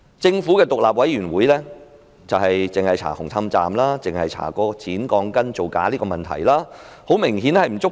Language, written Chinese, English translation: Cantonese, 政府的獨立調查委員會只調查紅磡站剪鋼筋造假的問題，明顯並不足夠。, The Governments Commission only probes into the fraudulent practice of the cutting of reinforcement steel bars at the Hung Hom Station which is obviously inadequate